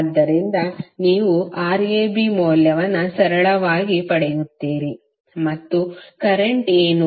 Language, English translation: Kannada, So you will simply get the value of Rab and now what would be the current